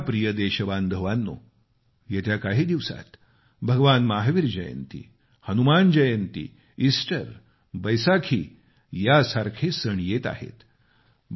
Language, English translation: Marathi, My dear countrymen, a spectrum of many festivals would dawn upon us in the next few days Bhagwan Mahavir Jayanti, Hanuman Jayanti, Easter and the Baisakhi